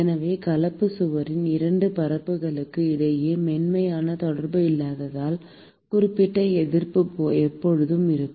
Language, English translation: Tamil, So therefore, there will always be certain resistance which is offered by the non smooth contact between the 2 surfaces of the composite wall